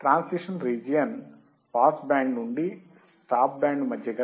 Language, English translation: Telugu, Transition region is from pass band to stop band transition region